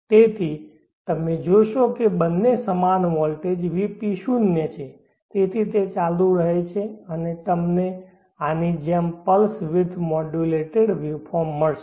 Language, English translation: Gujarati, So you will see that both are at same potential VP is zero, so like that it continues and you will get a pulse width modulated waveform like this